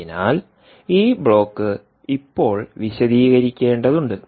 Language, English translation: Malayalam, so this block we have to elaborate now